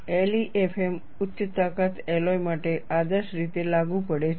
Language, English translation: Gujarati, LEFM is ideally applicable for high strength alloys